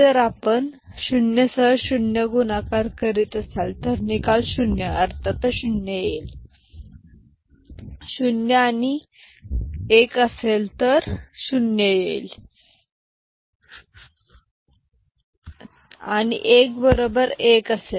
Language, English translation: Marathi, So, the result will be 0 of course, 0 with 1 it will be 0, 1 with 0 it will be 0 and 1 with 1 it will be 1